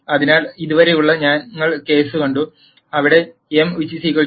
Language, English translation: Malayalam, So, till now we saw the case, where m equal to n